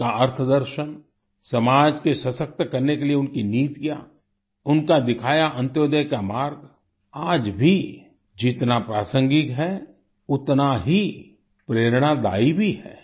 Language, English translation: Hindi, His economic philosophy, his policies aimed at empowering the society, the path of Antyodaya shown by him remain as relevant in the present context and are also inspirational